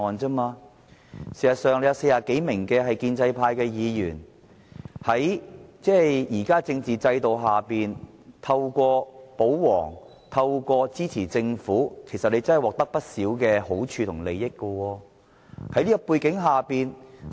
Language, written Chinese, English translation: Cantonese, 事實上，有40多名建制派議員，在現行的政治制度下，透過保皇、透過支持政府，其實他們真的獲得不少好處和利益。, In fact 40 - plus pro - establishment Members have obtained considerable advantages and benefits under the current political system by acting as royalists and supporting the Government